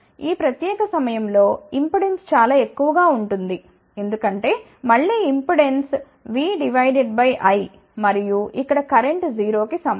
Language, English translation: Telugu, At this particular point impedance will be very high, because again impedance is v divided by I and here current is equal to 0